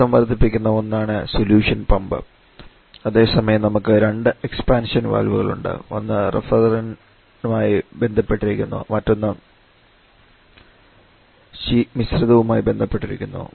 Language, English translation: Malayalam, The solution pump is the one that is rising the pressure whereas we have 2 expansion valves one corresponding to the refrigerant other corresponding to the mixture where we are using the expansion valves to lower the pressure